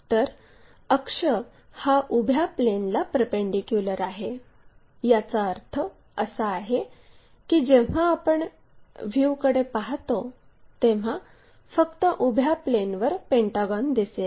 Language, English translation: Marathi, So, axis is perpendicular to vertical plane that means, when we are looking the view the pentagon will be visible only on the vertical plane